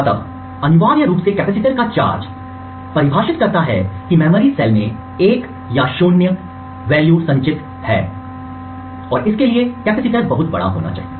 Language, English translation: Hindi, So essentially the charge of the capacitor defines whether this memory cell is storing a 1 or a 0 and capacitor must be large enough